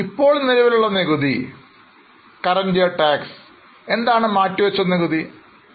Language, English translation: Malayalam, Now, what is a current tax and what is a deferred tax